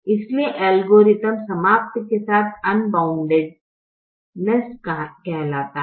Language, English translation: Hindi, so the algorithm terminates with what is called unboundedness